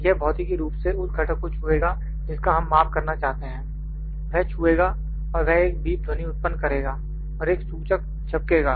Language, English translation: Hindi, It will physically touch the component that we are trying to measure, it will touch and it will produce a beep sound and also an indicator would blink